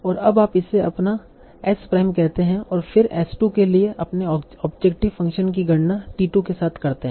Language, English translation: Hindi, m prime and then compute your objective function for s prime with t 2